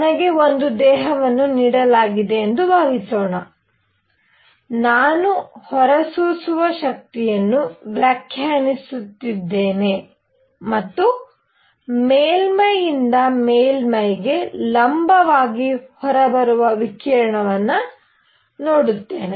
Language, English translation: Kannada, Suppose I am given a body, I am defining emissive power and from a surface I look at the radiation coming out perpendicular to the surface